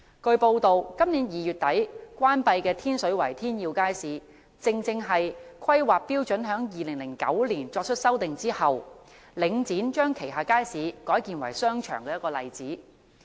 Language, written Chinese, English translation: Cantonese, 據報道，今年2月底關閉的天水圍天耀街市，正是在2009年修訂《規劃標準》後，領展將旗下街市改建為商場的例子。, As reported the Tin Yiu Market in Tin Shui Wai which was closed in late February this year is an example of a Link REIT market being redeveloped into a shopping centre after the amendment of HKPSG in 2009